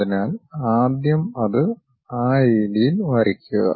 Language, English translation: Malayalam, So, first draw that one in that way